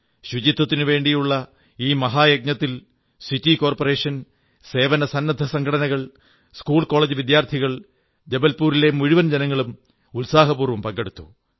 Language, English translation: Malayalam, In this 'Mahayagya', grand undertaking, the Municipal Corporation, voluntary bodies, School College students, the people of Jabalpur; in fact everyone participated with enthusiasm & Zest